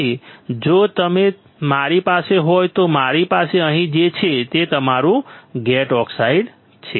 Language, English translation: Gujarati, So, if you are with me we have here which is our gate oxide What is the next step